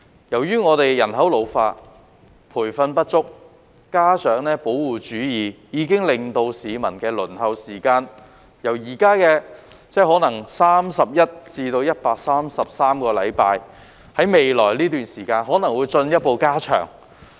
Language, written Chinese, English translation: Cantonese, 由於我們人口老化、培訓不足，加上保護主義，令現時市民的輪候時間可能達31至133個星期，在未來一段時間更可能進一步延長。, Due to an ageing population inadequate training and protectionism peoples waiting times for medical services may reach 31 weeks to 133 weeks at present and may be further extended in future